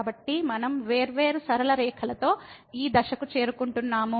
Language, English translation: Telugu, So, we are approaching to this point along different straight lines